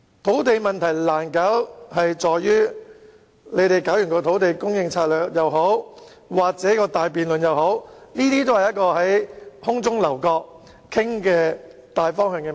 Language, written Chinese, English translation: Cantonese, 土地供應問題難處理的原因是，無論推行"優化土地供應策略"或展開大辯論，也只是討論大方向。, The issue of land supply is difficult because we are merely dealing with the overall direction when we are either carrying out the Enhancing Land Supply Strategy or launching a big debate